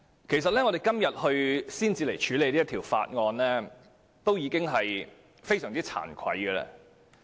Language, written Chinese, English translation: Cantonese, 其實我們今天才處理《條例草案》，已經非常慚愧。, In fact we are most ashamed of ourselves for not dealing with the Bill until today